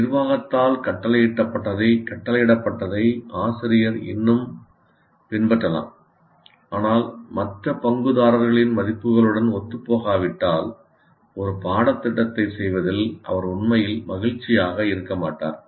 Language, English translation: Tamil, The teacher may still follow what is dictated by the management, but he won't be really happy in doing a course if it is not in alignment with the values of other stakeholders